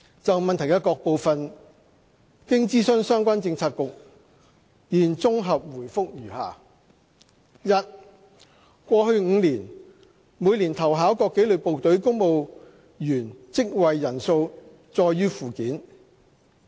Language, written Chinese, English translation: Cantonese, 就質詢的各部分，經諮詢相關政策局，現綜合答覆如下：一過去5年，每年投考各紀律部隊公務員職位人數載於附件。, Having consulted relevant bureau I now give a consolidated reply to the various parts of the question as follows 1 The respective numbers of applicants for positions in various disciplined services in each of the past five years are set out in the Annex